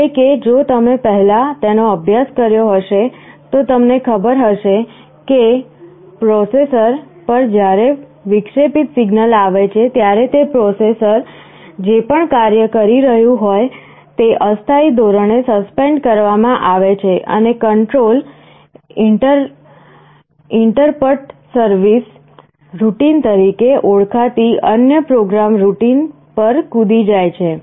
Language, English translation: Gujarati, Means, if you have studied it earlier somewhere you know that when an interrupt signal comes to a processor, whatever the processor was executing is temporarily suspended and the control jumps to another program routine called interrupt service routine